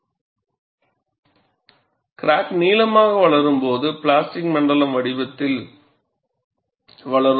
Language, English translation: Tamil, So, when the crack grows in length, the plastic zone also will grow, in shape